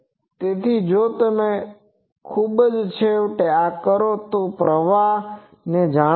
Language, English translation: Gujarati, So, if you very finally, do this then you know the currents